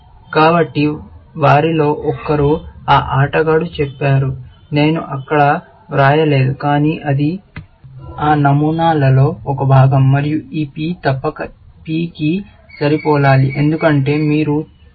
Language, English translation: Telugu, So, one of them says that player; I have not written that there, but it is a part of that pattern, and this P must match this P, as you will see